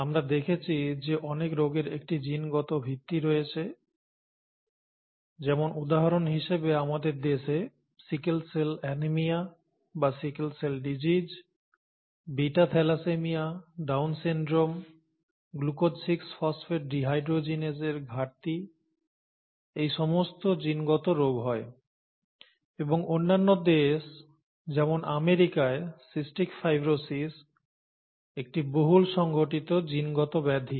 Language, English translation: Bengali, We saw that many diseases have a genetic basis; for example in our country, sickle cell anaemia or sickle cell disease, beta thalassaemia, Down syndrome, glucose 6 phosphate dehydrogenase deficiency are all occurring genetic diseases and in other countries such as the US, cystic fibrosis is a widely occurring genetic disorder